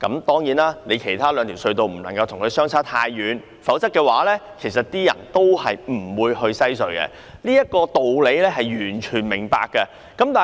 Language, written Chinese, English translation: Cantonese, 當然，其他兩條隧道的收費不能跟西隧相差太遠，否則市民仍然不會使用西隧，我完全明白這道理。, Certainly the tolls of the other two RHCs cannot differ too much from that of WHC; otherwise people will not use WHC . I can fully understand the rationale